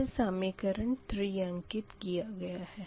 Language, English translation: Hindi, this is equation four